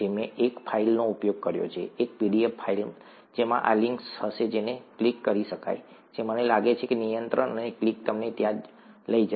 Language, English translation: Gujarati, I did mention a file, a pdf file that would have these links that can be clicked, I think control and a click would take you there